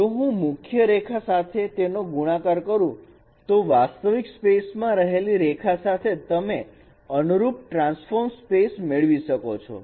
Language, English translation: Gujarati, If I multiply with the original line, line in the original space, you will get the corresponding transform space